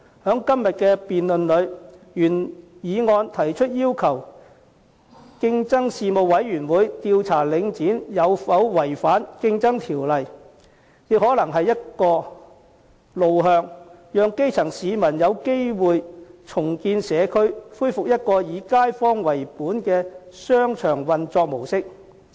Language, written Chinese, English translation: Cantonese, 在今天的議案辯論中，原議案提出要求競爭事務委員會調查領展有否違反《競爭條例》，這亦可能是一個路向，讓基層市民有機會重建社區，恢復一個以街坊為本的商場運作模式。, In the motion debate today the original motion requests the Competition Commission to investigate whether Link REIT has violated the Competition Ordinance . This may be one way to give the grass roots opportunities to rebuild their community and to restore the neighbour - oriented approach of operation in shopping arcades